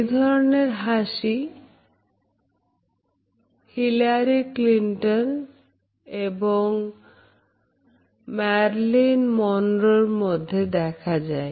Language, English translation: Bengali, This is a favourite of people such a Hillary Clinton and Marilyn Monroe